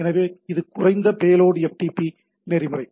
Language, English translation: Tamil, So, it is a low payload FTP protocol, right